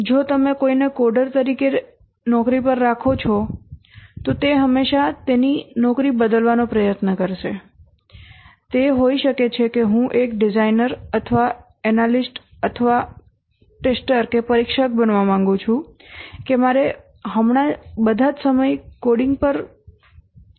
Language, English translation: Gujarati, If you employ somebody as a coder, he will always try to change his job and say that maybe I would like to become a designer or an analyst or a tester